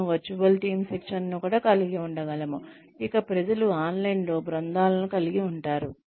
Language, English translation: Telugu, we can have virtual team training also, where people, you know, have teams online